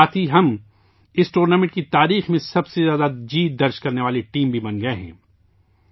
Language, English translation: Urdu, With that, we have also become the team with the most wins in the history of this tournament